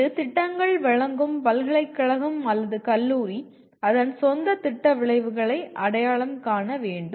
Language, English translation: Tamil, It is for the university or the college offering the program will have to identify its own program outcomes